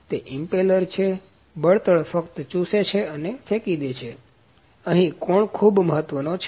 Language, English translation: Gujarati, So, it is impeller, just sucks and throws out the fuel, so here angle is very important